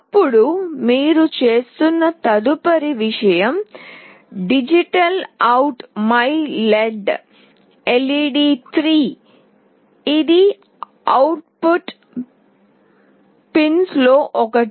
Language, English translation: Telugu, Then the next thing that you are doing is DigitalOut myLED , this is one of the output pins